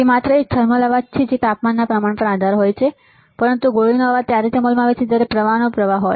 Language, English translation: Gujarati, It is just a thermal noise is proportional to the temperature also, but shot noise only comes into effect when there is a flow of current